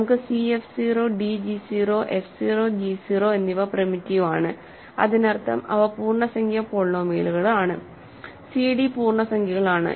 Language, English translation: Malayalam, So, we have c f 0, d g 0, f 0 g 0 primitive that means, they are integer polynomials, c d are integers